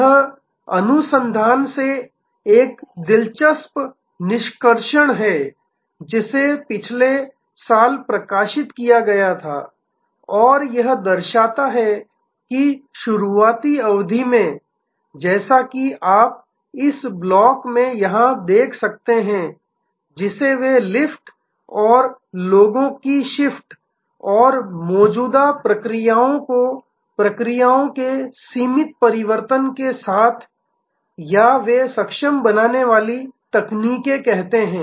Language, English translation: Hindi, This is an interesting extraction from the research, which was published last year and it shows that in the initial period as you can see here in this block, what they call lift and shift of people and existing processes with limited transformation of processes or they are enabling technologies